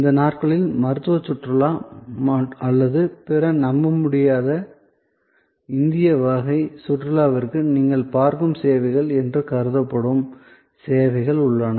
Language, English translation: Tamil, There are services where these days as suppose to the services you see for medical tourism or other incredible India type of tourism